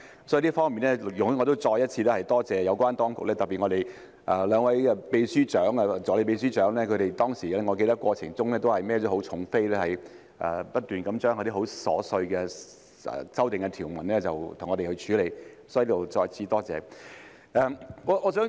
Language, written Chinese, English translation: Cantonese, 所以，在這方面，請容許我再次感謝有關當局，特別是常任秘書長和兩位首席助理秘書長，我記得他們在當時的過程中肩負重任，不斷為我們處理那些很瑣碎的修訂條文，所以，我在此再次感謝他們。, In this connection please allow me to thank the relevant authorities again especially the Permanent Secretary and the two Principal Assistant Secretaries I recall that they had to take up the heavy responsibility of incessantly dealing with those very trivial amendments for us during the process back then . Therefore I would like to thank them again here